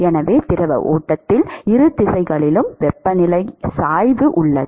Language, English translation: Tamil, So, therefore, in the fluid stream there is a temperature gradient in both directions